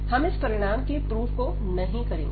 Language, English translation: Hindi, So, we will not go through the proof of this result